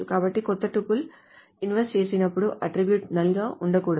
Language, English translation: Telugu, So whenever a new tipple is inserted, the attribute cannot be null